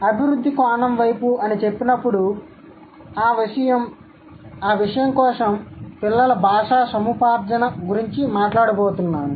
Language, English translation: Telugu, When I say developmental, I am going to talk about the child language acquisition for that matter